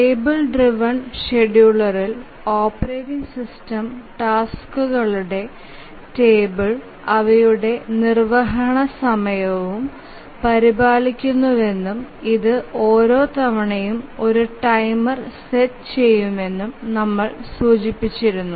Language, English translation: Malayalam, We had mentioned that in the table driven scheduler the operating system maintains a table of the tasks and their time of execution and it sets a timer each time